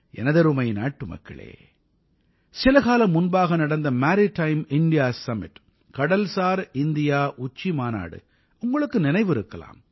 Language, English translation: Tamil, My dear countrymen, do you remember the Maritime India Summit held sometime ago